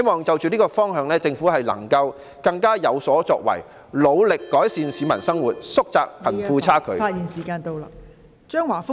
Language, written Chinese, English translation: Cantonese, 就着這個方向，我希望政府更有所作為，努力改善市民生活，縮窄貧富差距。, To move towards this direction I hope the Government will take more proactive and concrete actions in a bid to improve peoples livelihood and narrow the gap between the rich and the poor